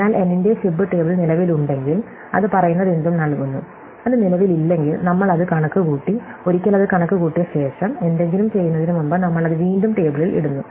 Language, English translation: Malayalam, So, if fib table of n exists return whatever it says, if it does not exist, then we compute it, once we have computed it, before we do anything we put it back in the table